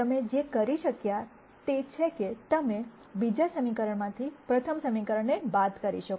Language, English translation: Gujarati, Now what you could do is you could subtract the first equation from the second equation